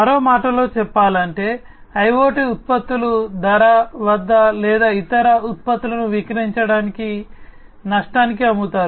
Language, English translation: Telugu, In other words, IoT products are sold at the cost price or at a loss to sell other products